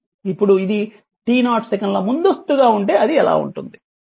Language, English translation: Telugu, Now, if it is advanced by t 0 how it will look like